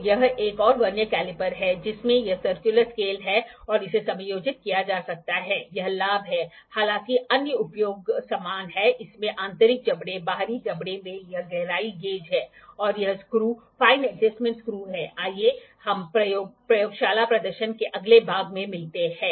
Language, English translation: Hindi, So, this is another Vernier caliper which is having this circular scale and it can be adjusted, this is the advantage; however, the other uses are same it has internal jaws, external jaws it has this depth gauge and this screw is the fine adjustment screw let us meet to the next part of the lab demonstration